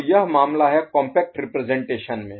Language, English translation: Hindi, So this is the case in more compact representation